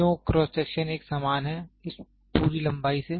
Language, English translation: Hindi, So, why the cross section is uniform is all through this length